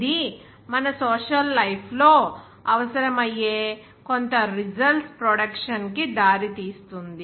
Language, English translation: Telugu, Which leads to the production of some outcome, which is requiring in our social life